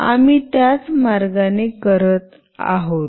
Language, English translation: Marathi, The same way we will be doing that